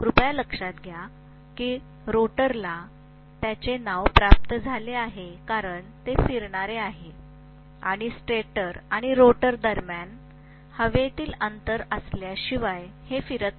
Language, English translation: Marathi, Please note that the rotor gets its name because it is going to rotate and it cannot rotate unless there is an air gap between the stator and rotor